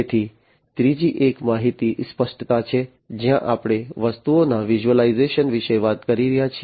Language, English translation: Gujarati, So, the third one is information clarity, where we are talking about the visualization of the objects